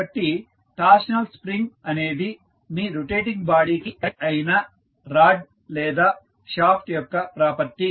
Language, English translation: Telugu, So, torsional spring is the property of the shaft or the rod which is connected to your rotating body